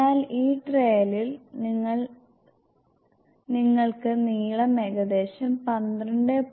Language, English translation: Malayalam, So, in this trial you can see the length was approximately 12